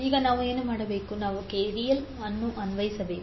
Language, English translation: Kannada, Now what we have to do, we have to apply the KVL